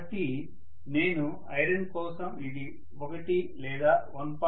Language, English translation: Telugu, So if I say that for iron it is something like 1 or 1